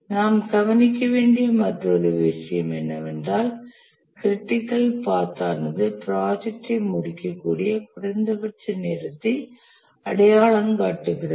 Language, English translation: Tamil, Another thing that we must note is that the critical path identifies the minimum time to complete the project